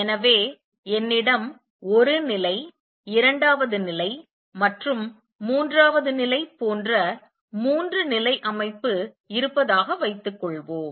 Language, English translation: Tamil, So, suppose I have a three level system one level, second level and third level